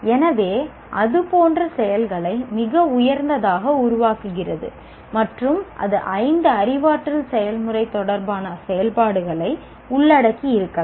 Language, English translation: Tamil, So like that create activities the highest and it can or it may involve activities related to all the five cognitive processes